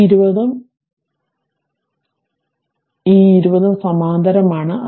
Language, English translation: Malayalam, And this 20 ohm and this 20 ohm, both are in parallel right